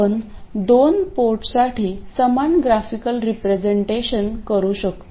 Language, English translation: Marathi, We can make a similar graphical representation for the two port